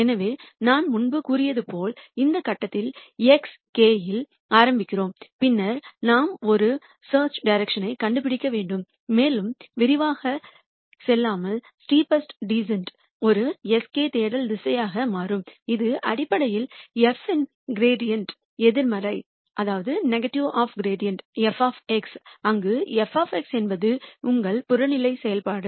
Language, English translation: Tamil, So, as I said before, we start at this point x k and then we need to find a search direction and without going into too much detail the steepest descent will turn out to be a search direction s k which is basically the negative of gradient of f of x, where f of x is your objective function